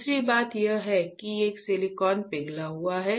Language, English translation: Hindi, Second thing is that there is a silicon melt